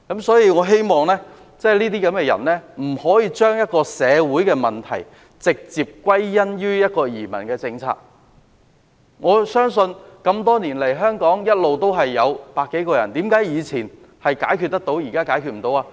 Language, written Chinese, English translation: Cantonese, 所以，我希望這些人不要將社會問題直接歸因於移民政策，我相信這麼多年來，香港每天一直有百多人來港，為何以前問題可以解決得到，現在解決不到呢？, Hence I hope that these people will not directly attribute these problems to the new immigrant policy . Over the years hundred - odd people came daily to Hong Kong for settlement . How come we could tackle this issue in the past but not now?